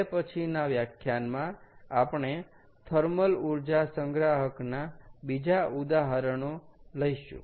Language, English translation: Gujarati, what we will do in the next lecture is we will take up some other examples of thermal energy storage